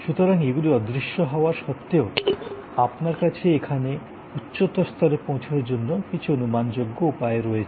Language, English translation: Bengali, So, that even though they are intangible you have some predictable way of generating a higher level here